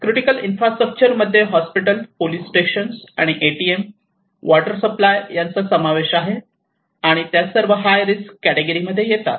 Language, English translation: Marathi, Critical infrastructure includes hospitals, police stations, and ATMs, water supply and they are all subjected to the high risk